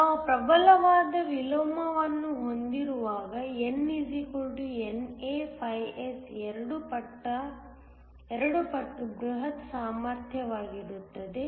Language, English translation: Kannada, When we have strong inversion an N = NA S will be just twice the bulk potential